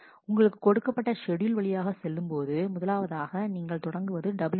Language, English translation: Tamil, And then you go through the schedule, you start with the very first one w 1 A